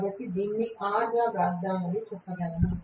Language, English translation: Telugu, So, I can say maybe let me write this as R